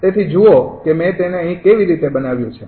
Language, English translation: Gujarati, so look how i have made it here right